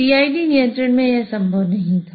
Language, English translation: Hindi, This was not possible in the PID control